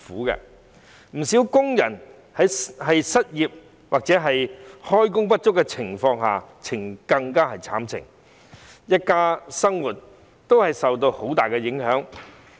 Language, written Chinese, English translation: Cantonese, 不少工人失業或開工不足，更是淒慘，一家人的生活大受影響。, Many workers who became unemployed or underemployed found themselves in miserable circumstances and the living of their families has been greatly affected